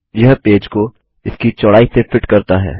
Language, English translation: Hindi, This fits the page to its width